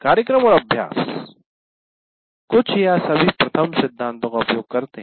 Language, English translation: Hindi, So programs and practices use some are all of the first principles